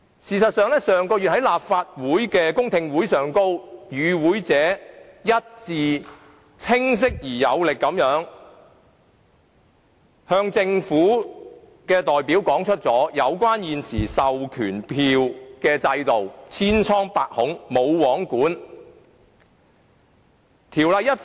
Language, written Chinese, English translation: Cantonese, 事實上，上月在立法會公聽會上，與會者清晰而有力地一致向政府代表表達現時授權書制度千瘡百孔及"無皇管"的問題。, In fact in the public hearing of the Legislative Council held last month the attendees clearly and unanimously presented to the government representatives the myriads of problems surrounding the existing proxy form system and its lack of regulation